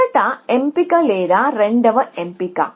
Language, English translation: Telugu, A first option or the second option